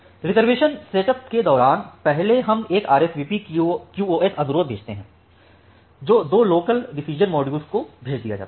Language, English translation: Hindi, During the reservation setup, first we send an RSVP QoS request which is passed to two local decision module